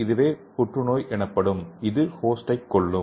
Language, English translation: Tamil, As and is also called as cancer cells and which kills the host